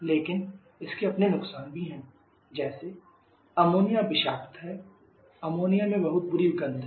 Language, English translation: Hindi, But the disadvantage also like ammonia is toxic, ammonia has very bad order